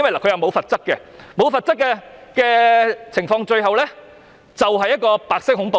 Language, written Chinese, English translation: Cantonese, 在沒有罰則的情況下，最後可能造成白色恐怖。, The lack of penalties will possibly give rise to white terror